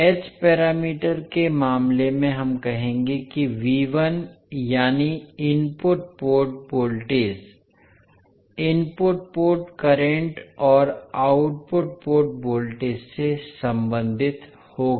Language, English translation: Hindi, In case of h parameters we will say that V1 that is the input port voltage will be related to input port current and output port voltages in terms of h11 I1 plus h12 V2